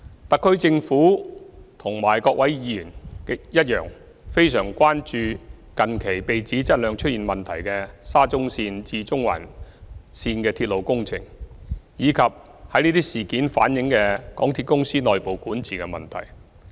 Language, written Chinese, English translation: Cantonese, 特區政府和各位議員一樣，非常關注近期被指質量出現問題的沙田至中環線鐵路工程，以及從這些事件反映的港鐵公司內部管治問題。, Like Honourable Members the SAR Government is very concerned about the Shatin to Central Link SCL project which has recently been alleged to have quality problems and MTRCLs internal governance issues reflected from these incidents